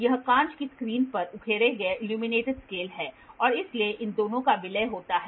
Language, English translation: Hindi, This is the illuminated scale engraved on the glass screen and this, these two are merged